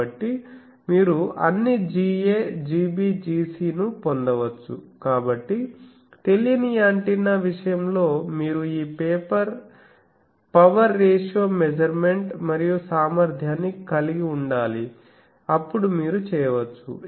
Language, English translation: Telugu, So, you can get all G a G b G c, so an unknown antenna thing only thing you will need to have this power ratio measurement and capability then you can do